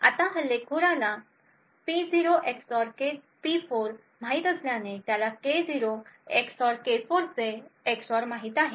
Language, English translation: Marathi, Now since the attacker knows P0 XOR P4 he thus knows the XOR of K0 XOR K4